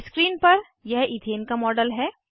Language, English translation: Hindi, This is a model of ethane on screen